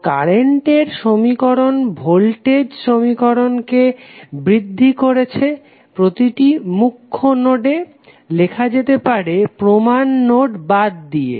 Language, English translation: Bengali, So, the current equations enhance the voltage equations may be written at each principal node of a network with exception of reference node